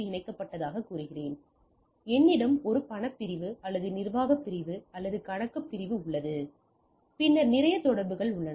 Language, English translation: Tamil, So, I have say connected I have a say cash section, or a administrative section and a account section and then I have lot of communication